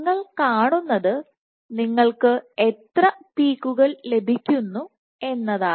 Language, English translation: Malayalam, So, what you see is that how many peaks do you get